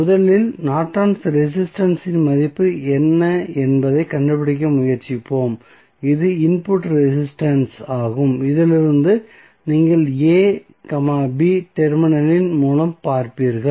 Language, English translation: Tamil, So, first let us try to find out what would be the value of Norton's resistance that is input resistance when you will see from this through this a, b terminal